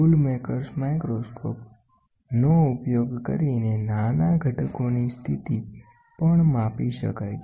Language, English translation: Gujarati, The position of the small components also can be measured by using the tool maker’s microscope